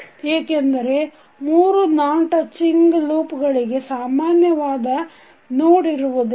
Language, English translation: Kannada, So non touching loops are the loops that do not have any node in common